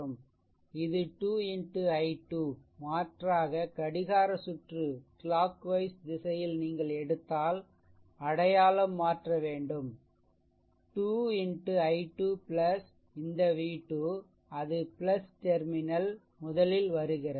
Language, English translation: Tamil, So, it will be 2 into i 2 that 2 into i 2 right otherwise clockwise if you take sign has to be change thats all 2 into i 2 plus this v v 2 it is encountering plus terminal first